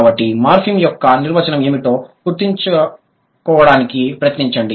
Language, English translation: Telugu, So, try to recall what was the definition of a morpheme